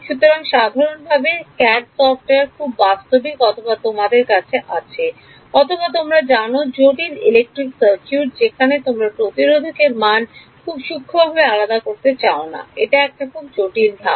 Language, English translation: Bengali, So, even CAD software is generally very sophisticated or you have some you know complicated electrical circuit maybe you do not want to discretize the resistor very finely order it so, this is a complicated step